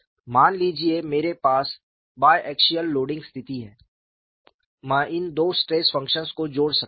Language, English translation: Hindi, Suppose, I have a bi axial loading situation, I can add these two stress functions